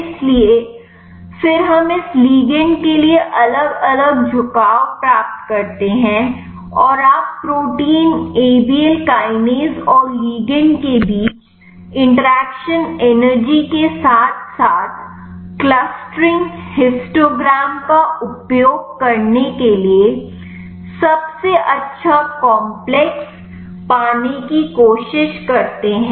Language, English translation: Hindi, So, then we get different orientations for this ligand and you try to get the best complex between the protein Abl kinase and the ligand using interaction energy as well as the clustering histogram